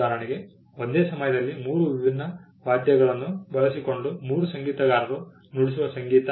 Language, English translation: Kannada, For example, the music that is played by three musicians using different 3 different instruments at the same time